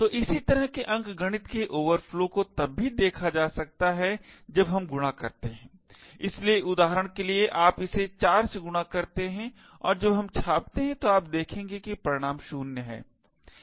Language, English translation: Hindi, So, similar kind of arithmetic overflows can be also seen when we do multiplication, so for example you take l multiply it by 4 and when we do print it you will see that the result is 0